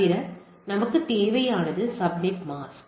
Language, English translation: Tamil, Why we require this subnet mask